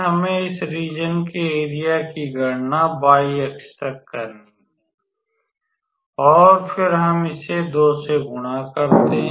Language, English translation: Hindi, We have to calculate the area of this region up to y axis and then we just multiply it by 2